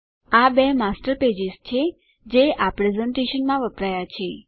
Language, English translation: Gujarati, These are two Master Pages that have been used in this presentation